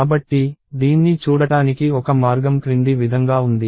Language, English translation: Telugu, So, one way to look at this is as follows